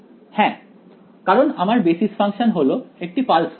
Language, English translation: Bengali, Yes so because my basis functions are pulse functions